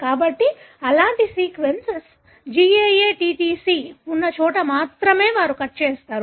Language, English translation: Telugu, So they cut only where such sequence GAATTC is there